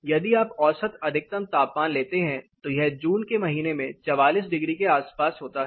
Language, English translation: Hindi, If you take the mean maximum temperature it is around 44 degrees occurring in the month of June